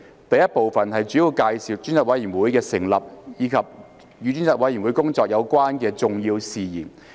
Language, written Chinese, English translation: Cantonese, 第 I 部分主要介紹專責委員會的成立，以及與專責委員會工作有關的重要事宜。, Part I is primarily an introduction to the establishment of the Select Committee as well as important matters relating to the work of the Select Committee